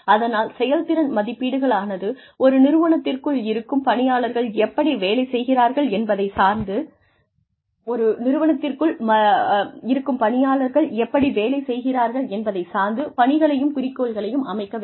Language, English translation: Tamil, So, performance appraisals needs to be, made a part of the setting of tasks and objectives, in line with, how the employee has been able to perform within that organization